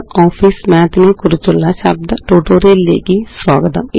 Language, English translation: Malayalam, Welcome to the Spoken tutorial on LibreOffice Math